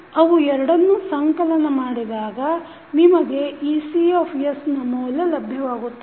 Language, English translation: Kannada, When you sum up both of them you will get the value of ecs